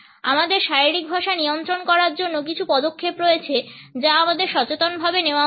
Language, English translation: Bengali, In order to control our body language, there are certain steps which we should consciously take